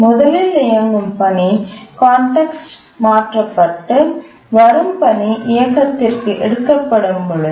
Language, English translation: Tamil, One, the running task is context switched and the arriving task is taken up for running